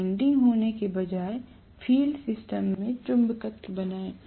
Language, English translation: Hindi, Instead of having windings, create the magnetism in the field system